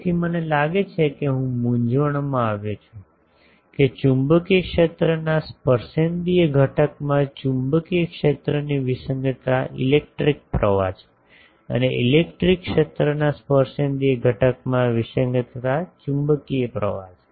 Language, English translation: Gujarati, So, I think I got confused that magnetic field discontinuity in the tangential component of the magnetic field is electric current, and the discontinuity in the tangential component of the electric field is magnetic current